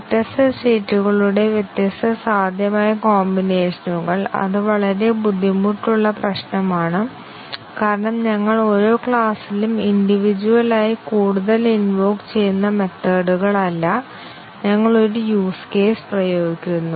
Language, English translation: Malayalam, Assume different states different possible combinations of states that is, very difficult problem because we are no more invoking methods on one class individually every class, we are invoking a use case